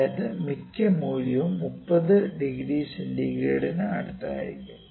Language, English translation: Malayalam, That is most of the value would be close to 30 degree centigrade